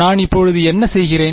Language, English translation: Tamil, So what I am doing now